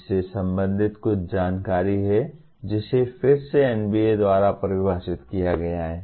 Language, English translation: Hindi, There is some information related to which is again defined by NBA